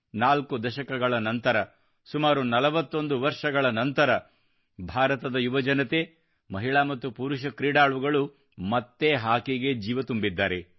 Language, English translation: Kannada, And four decades later, almost after 41 years, the youth of India, her sons and daughters, once again infused vitality in our hockey